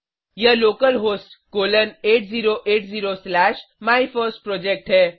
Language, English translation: Hindi, It is localhost colon 8080 slash MyFirstProject